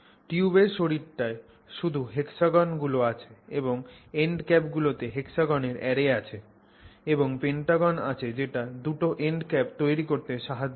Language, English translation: Bengali, So, the body of the tube only has hexagons and the end caps have an array of hexagons and pentagons which help you create those two end caps